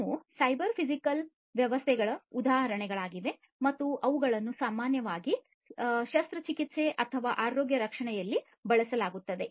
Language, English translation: Kannada, These are examples of cyber physical systems and they are used in surgery or healthcare, in general